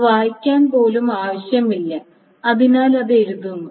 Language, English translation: Malayalam, It doesn't even need to write, read